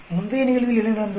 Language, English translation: Tamil, Whereas in the previous case what happened